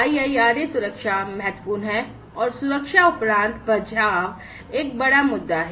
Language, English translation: Hindi, So, IIRA safety concern is important and after safety is the issue of security